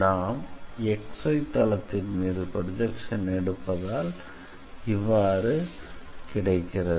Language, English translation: Tamil, So, if we take the projection on XY plane